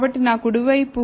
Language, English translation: Telugu, So, on my, right